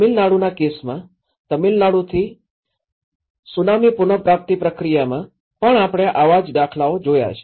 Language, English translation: Gujarati, We have also seen similar examples in the Tsunami recovery process in Tamil Nadu, the case of Tamil Nadu